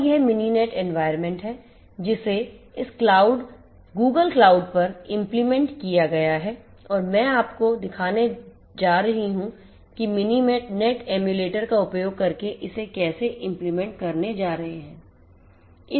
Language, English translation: Hindi, And this is the Mininet environment which is executed over this Google cloud and I am going to show you how we are going to have this implementation done using Mininet emulator